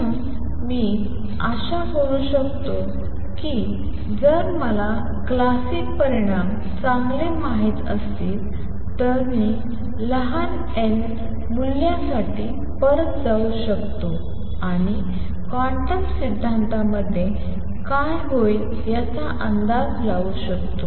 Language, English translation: Marathi, Therefore I can hope if I know the classic results well, that I can go back and go for a small n values and anticipate what would happen in quantum theory